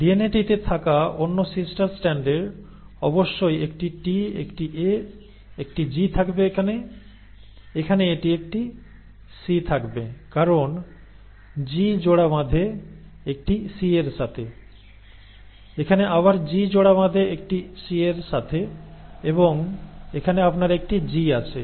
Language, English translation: Bengali, Now the other sister strand on the DNA will obviously be having a T, a A, a G here, here it will have a C because G pairs with a C, here again G pairs with a C and here you have a G